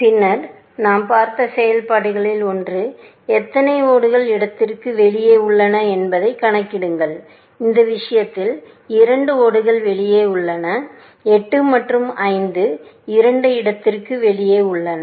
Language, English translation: Tamil, Then, one way, one of the functions that we saw was; simply count how many tiles are out of place, in which case, two tiles are out of place; both 8 and 5 are out of place